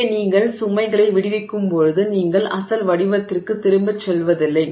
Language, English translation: Tamil, Here when you release the load you do not go back to the original shape